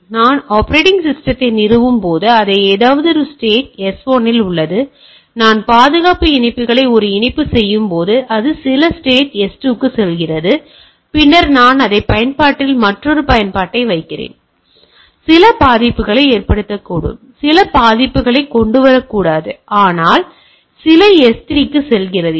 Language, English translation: Tamil, So, while I install the operating system, it is in some state S1, when I do a patch the security patches, it goes to some state S2, then I put another application over on the same system, so it may bring some vulnerability, may not bring some vulnerability, but goes to some S3